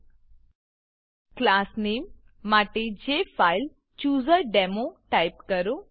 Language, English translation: Gujarati, For Class Name, type JFileChooserDemo